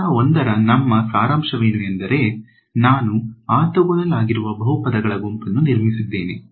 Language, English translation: Kannada, So, what is our sort of summary of step 1 is I have constructed a set of polynomials which are orthogonal right